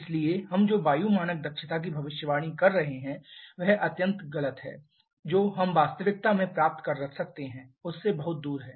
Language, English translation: Hindi, Therefore what we are getting the prediction of air standard efficiency that is extremely wrong that is far off from what we can get in reality